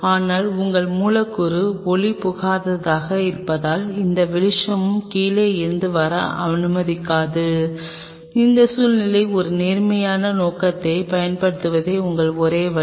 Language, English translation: Tamil, But since your substrate is opaque it is not allowing any light to come from the bottom your only option is to use an upright objective in that situation